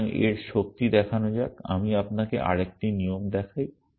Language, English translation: Bengali, So, the illustrate the power of this let me show you another rule